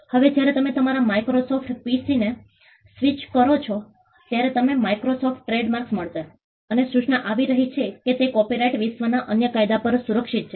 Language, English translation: Gujarati, Now, when you switch over on your Microsoft PC, you will find the Microsoft trademark and the notice is coming that it is protected by copyright and other laws all over the world